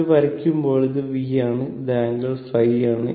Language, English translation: Malayalam, So, this is your actually V angle phi, right